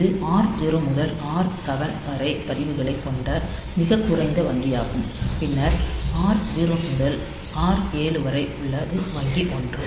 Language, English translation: Tamil, So, this is the lowest bank having the registers R0 to R7 then we have got bank one going from R0 to R7